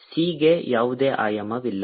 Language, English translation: Kannada, the c has no dimension